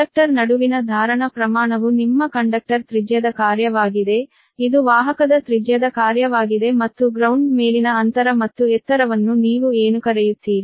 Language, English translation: Kannada, so the amount of capacitance between conductor is a function of your conductor radius, right, is a function of conductor radius and your your, what you call that space spacing and height above the ground